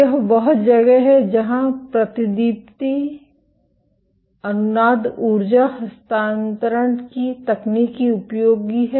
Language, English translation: Hindi, This is where the technique of fluorescence resonance energy transfer is useful